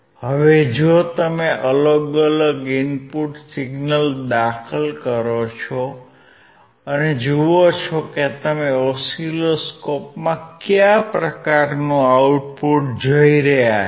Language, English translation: Gujarati, Now, if you apply different input signal and see what kind of output you can see in the oscilloscope